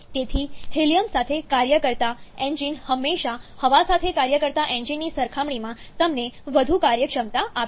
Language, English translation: Gujarati, 4, so engine working with helium is always going to give you higher efficiency compared to an engine working with air